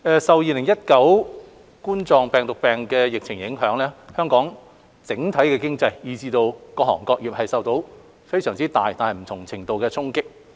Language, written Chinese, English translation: Cantonese, 受2019冠狀病毒病疫情影響，香港整體經濟以至各行各業都受到非常大但不同程度的衝擊。, Due to the Coronavirus Disease 2019 outbreak the Hong Kong economy as a whole and various trades and industries have been affected considerably but to a varying degree